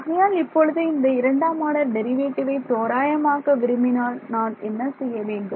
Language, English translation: Tamil, So, I want an approximation for second order derivative, so if I add these two equations